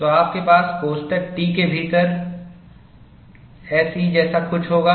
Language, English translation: Hindi, So, you will have something like SE within bracket T